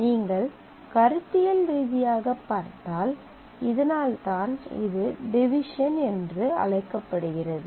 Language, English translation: Tamil, So, if you conceptually look at that is the reason this is called a division